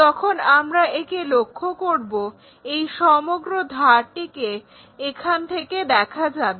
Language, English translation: Bengali, When we are looking this entire edge will be visible here